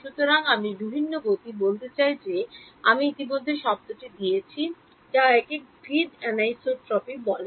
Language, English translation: Bengali, So, different speeds I am want to say I have already given the word away this is called grid anisotropy